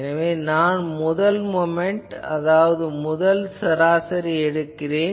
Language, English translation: Tamil, So, I am taking that what is the first moment means the first time of average